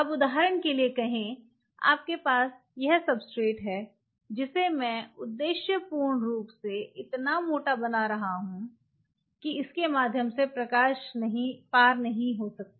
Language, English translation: Hindi, Now say for example, you have this substrate through which I am just purposefully making if that thick the light does not pass